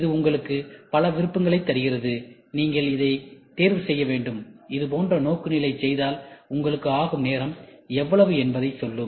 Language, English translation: Tamil, It gives you multiple options, you have to pick which one which will also tell you if you do the orientation like this, this is what is a time going to take